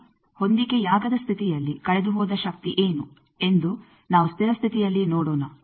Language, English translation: Kannada, Now, let us see at steady state what is the power lost in mismatch